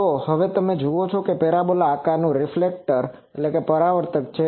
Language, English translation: Gujarati, So, you see there is a parabola reflector